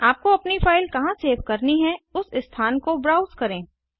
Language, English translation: Hindi, Browse the location where you want to save your file